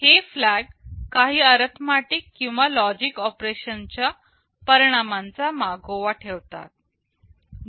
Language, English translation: Marathi, These flags actually keep track of the results of some arithmetic or logic operation